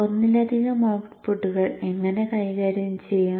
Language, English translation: Malayalam, How do we handle multiple outputs